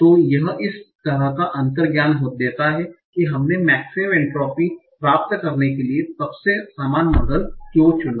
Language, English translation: Hindi, So this gives us the intuition that why we chose the most uniform model for getting the maximum entropy